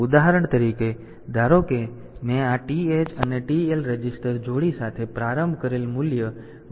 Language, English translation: Gujarati, For example, suppose the value that I have initialized with this this TH and TL register pair is YYXX hex